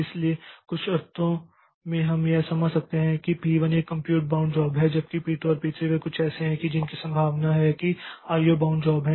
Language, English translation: Hindi, So, in some sense we can understand that P1 is a compute bound job whereas P2 and P3 they are some more it is very much likely that they are IO bound jobs